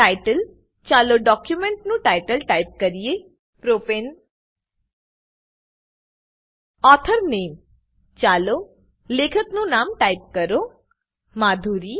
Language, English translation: Gujarati, Title Lets type the title of the document as Propane Authors Name lets type authors name as Madhuri